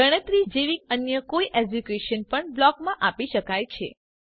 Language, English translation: Gujarati, Any other execution like calculation could also be given in the block